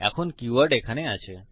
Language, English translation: Bengali, Now the keywords are in here